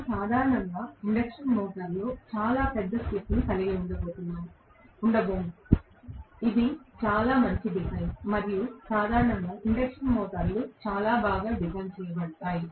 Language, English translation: Telugu, We are not going to have very large slip normally in an induction motor, which is fairly well design and generally, induction motors are fairly well design